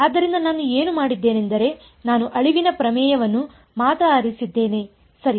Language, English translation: Kannada, So, what I have done is I have chosen only the extinction theorem right